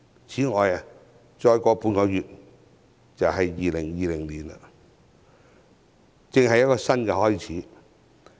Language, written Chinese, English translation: Cantonese, 此外，半個月後便進入2020年，是一個新開始。, Besides we will embark on the new beginning of 2020 in half a month